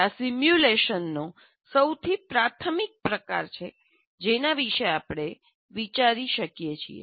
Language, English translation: Gujarati, This is the most, what you call, elementary type of simulation that we can think of